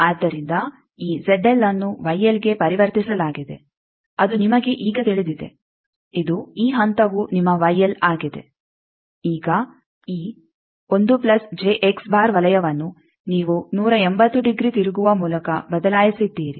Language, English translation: Kannada, So, this Z L is converted to Y L that you now know from a thing that this is your Y L this point; now this 1 plus J X circle you changed by 180 degree rotating